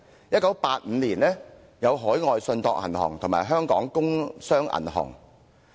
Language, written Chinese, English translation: Cantonese, 1985年有海外信託銀行和香港工商銀行被政府接管。, The Overseas Trust Bank and the Hong Kong Industrial and Commercial Bank were taken over by the Government in 1985